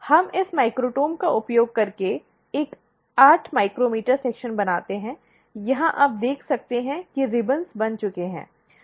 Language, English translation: Hindi, We make a 8 micrometer section using this microtome, here you can see the ribbons are formed